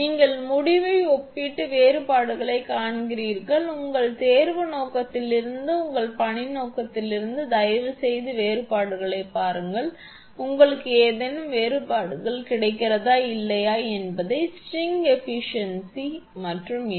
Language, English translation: Tamil, You compare the result and see the differences, from your exam purpose from your assignment purpose please see the differences whether you get any differences or not string efficiency and this one